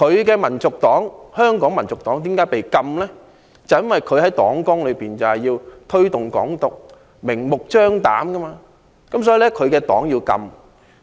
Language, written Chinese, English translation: Cantonese, 他的香港民族黨被禁，就是因為他在黨綱中明目張膽推動"港獨"。, The reason for prohibiting the operation of his Hong Kong National Party HKNP is his flagrant promotion of Hong Kong independence in its manifesto